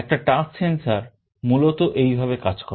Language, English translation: Bengali, Essentially a touch sensor works in this way